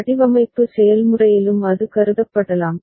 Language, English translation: Tamil, And that can also be considered in the design process right